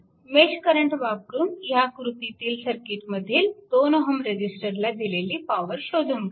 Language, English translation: Marathi, You have to using mesh current method; you have to determine that power delivered to the 2 ohm resistor in the circuit shown in figure this